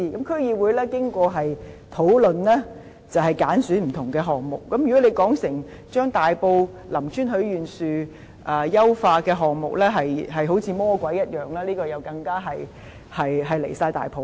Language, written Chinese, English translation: Cantonese, 區議會在經過討論後揀選不同的項目，如果他們把大埔林村許願樹優化的項目形容得好像魔鬼一樣，這是太離譜了。, After discussions various DCs selected various projects . Those Members painted the improvement project on the Tai Po Lam Tsuen Wishing Tree in an evil light and this is going too far